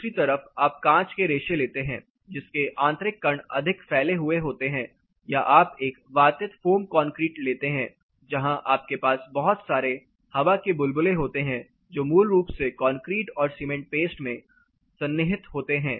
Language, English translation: Hindi, On the other hand you take a like a glass wool the material like glass wool which is much; the internally the particles are much more dispersed or you take a aerated concrete foam concrete where you have lot of air bubbles which embedded into the concrete and cement paste basically